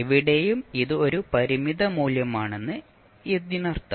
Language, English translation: Malayalam, So it means that anywhere it is a finite value